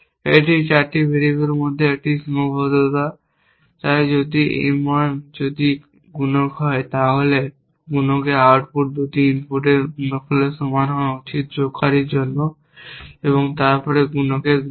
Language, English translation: Bengali, multiplier is the then the output of multiplier should be equal to the product of the 2 inputs for the adder, then the multiplier of the multiplier